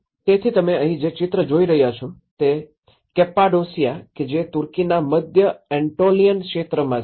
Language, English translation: Gujarati, So, the picture which you are seeing here is in the Cappadocia and also the central Antolian region of Turkey